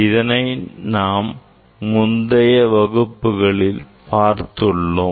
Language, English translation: Tamil, in details we have discuss in previous class